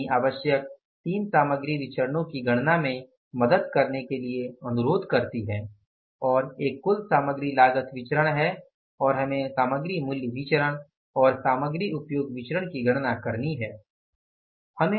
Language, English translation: Hindi, Company requests to help in the calculation of required three material variances and the one is total material cost variance